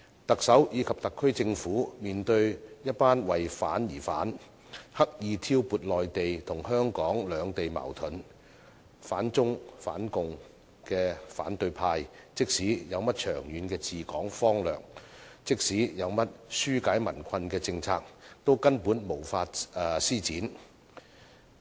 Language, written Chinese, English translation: Cantonese, 特首及特區政府面對一群為反而反、刻意挑撥內地與香港兩地矛盾、反中反共的反對派，即使有甚麼長遠治港方略和紓解民困的政策，都根本無法施展。, In the face of opposition Members who raise objection for the sake of objection deliberately fan Mainland - Hong Kong conflicts and oppose China and the Communist Party of China the Chief Executive and the SAR Government are utterly unable to take forward any long - term strategies on administering Hong Kong and policies for alleviating peoples plight